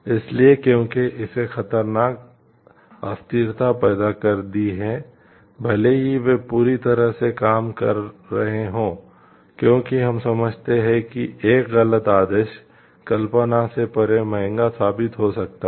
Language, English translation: Hindi, So, because it has created dangerous instability even if they are working perfectly, because we understand one wrong command can prove to be costly beyond imagination